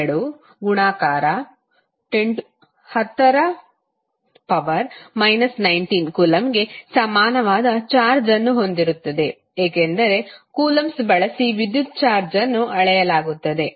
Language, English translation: Kannada, 602*10^ 19 coulomb because electric charge is measured in the in the parameter called coulomb